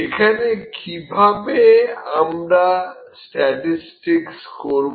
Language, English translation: Bengali, Now, how to do statistics here